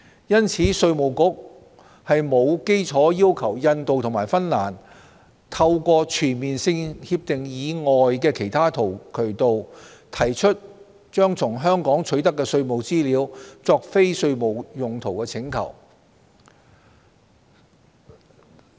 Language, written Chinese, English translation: Cantonese, 因此，稅務局沒有理據要求印度和芬蘭透過全面性協定以外的其他渠道，提出把從香港取得的稅務資料作非稅務用途的請求。, Therefore IRD has no grounds to demand that India and Finland make requests for the use of tax information obtained from Hong Kong for non - tax related purposes through means other than CDTAs